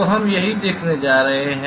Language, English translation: Hindi, So, that is what we are going to see